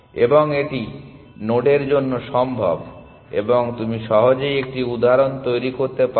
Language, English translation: Bengali, And it is also possible for nodes and close you can easily construct an example